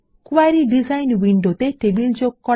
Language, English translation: Bengali, Add tables to the Query Design window Select fields